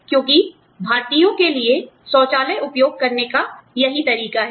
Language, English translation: Hindi, Because, that is the way, Indians are used to, using their toilets